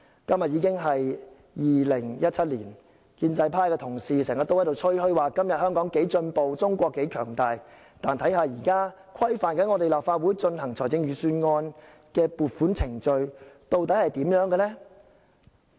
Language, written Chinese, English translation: Cantonese, 今天已經是2017年，建制派同事經常吹噓今天香港有多進步，中國有多強大，但現時規範立法會進行預算案撥款的程序究竟如何？, It is now 2017 pro - establishment Members often boast about the advancement of Hong Kong and the strength of China but what about the procedure for scrutinizing the Budget in the Legislative Council?